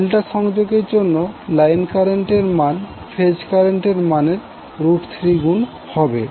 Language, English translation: Bengali, So for the delta connection the line current will be equal to root 3 times of the phase current